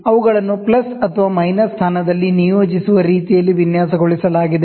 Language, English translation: Kannada, They are so designed that they may be combined in plus or minus position